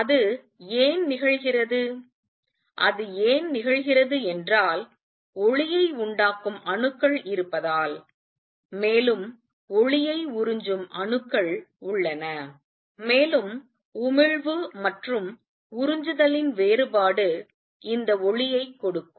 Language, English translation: Tamil, And why does that happen that happens because there are atoms that will be giving out light, and there are atoms that will be absorbing light, and the difference of the emission and absorption gives this light